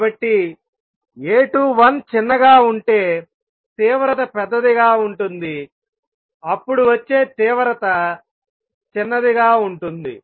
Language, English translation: Telugu, So, intensity would be larger if A 21 is small then the intensity coming would be smaller